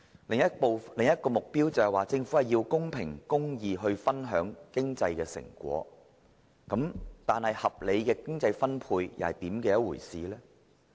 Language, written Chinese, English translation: Cantonese, 另一個目標是，政府必須公平公義地分享經濟成果，但合理的經濟分配又是甚麼一回事？, Another objective is that the Government must share the fruits of economic success in a fair and just manner . What is a reasonable distribution of wealth?